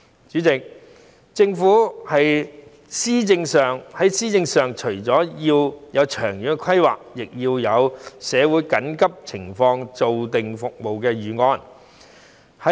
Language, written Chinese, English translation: Cantonese, 主席，政府在施政上除了要有長遠規劃外，亦要對社會緊急情況下的服務有所規劃。, President apart from having long - term planning in administration the Government also needs planning on the services to cope with emergencies in the community